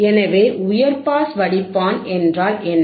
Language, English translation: Tamil, So, what is high pass filter